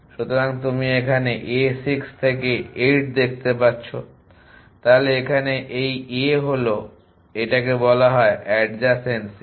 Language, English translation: Bengali, So, if you see a 6 to 8, so these a different is a called adjacency